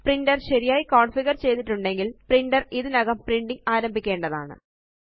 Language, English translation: Malayalam, If the printer is configured correctly, the printer should start printing now